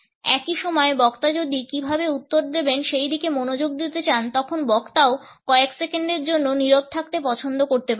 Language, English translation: Bengali, At the same time if the speaker wants to focus on how to frame the reply, the speaker may also prefer to remain silent for a couple of seconds